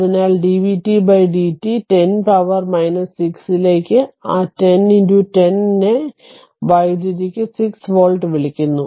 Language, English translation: Malayalam, So, dvt by dt 10 to the power minus 6 a what you call that minus 10 into 10 to the power 6 volt per second